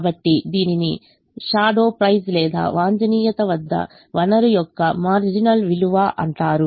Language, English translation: Telugu, therefore it is called shadow price or marginal value of the resource at the optimum